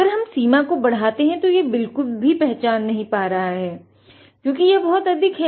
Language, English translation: Hindi, If I increase the range, it is not detecting at all it went too high